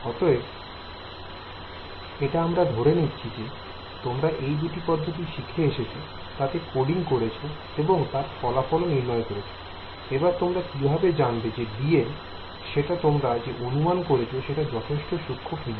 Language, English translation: Bengali, So, let us say you have you know you studied these two methods you coded them up and you got some solution; how do you know whether you chose a dl to be fine enough or not